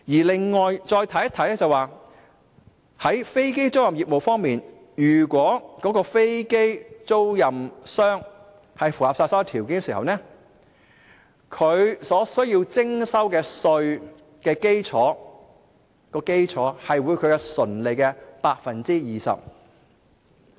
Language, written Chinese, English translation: Cantonese, 另外再看看飛機租賃業務方面，如果飛機出租商符合所有條件，他們所須徵收稅項的基礎，將會是其純利的 20%。, Besides regarding aircraft leasing business the tax base for aircraft lessors who satisfy all the conditions will be 20 % of their assessable profits